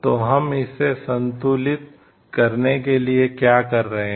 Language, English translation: Hindi, So, what are we doing for it to balance it